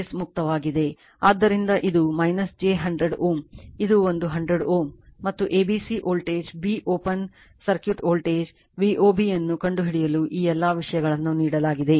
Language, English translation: Kannada, So, this is minus j 100 ohm this is one 100 ohm and A B C all these things are given you have to find out V O B that what is the voltage b open circuit voltage V O B